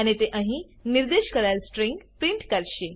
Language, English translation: Gujarati, And it will print out the string that is specified there